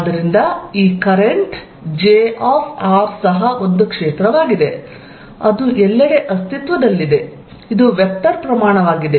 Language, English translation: Kannada, So, this current j r is also a field, which exist everywhere is a vector quantity